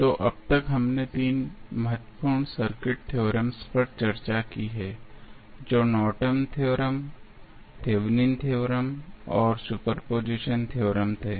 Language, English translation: Hindi, So, till now, we have discussed 3 important circuit theorems those were Norton's theorem, Thevenin's theorem and superposition theorem